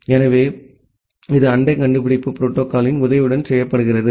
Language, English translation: Tamil, So, this is done with the help of this the neighbor discovery protocol